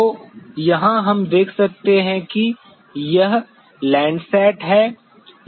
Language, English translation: Hindi, So, here we could just see that this is the LANDSAT